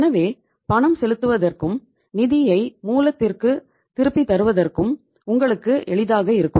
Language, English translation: Tamil, So you are means at ease to make the payment, to return the funds back to the source